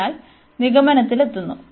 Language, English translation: Malayalam, So, coming to the conclusion